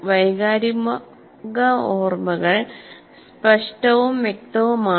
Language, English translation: Malayalam, Emotional memories can both be implicit or explicit